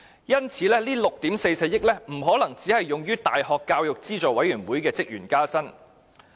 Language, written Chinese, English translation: Cantonese, 因此，這6億 4,400 萬元不可能只用於大學教育資助委員會的職員加薪。, Hence the sum of 644 million could not have been spent solely on pay adjustment for University Grants Committee staff